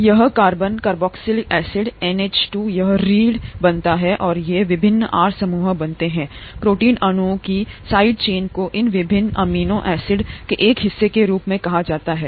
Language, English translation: Hindi, This carbon carboxylic acid NH2 this forms the backbone, and these various R groups form what are called the side chains of this protein molecule here as a part of these various amino acids